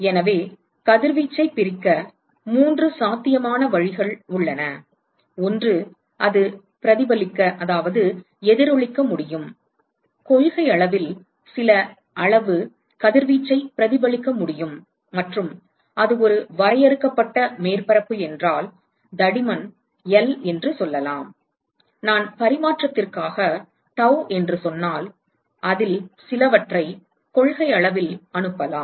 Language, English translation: Tamil, So, there are 3 possible ways in which the radiation can be split; one is it could be reflected, some amount of radiation can in principle be reflected and if it is a finite surface of let us say thickness L, then some of it could be transmitted if I say tau for transmission and some of it could in principle be absorbed and so whatever incident radiation that comes in to a surface can actually be absorbed or reflected or transmitted